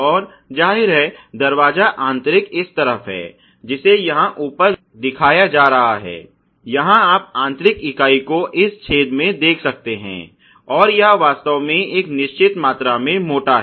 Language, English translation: Hindi, And obviously, the door inner is this side, the one which is being shown top of here where you can see the inner member having this perforation or holes and it is really a certain amount of thickness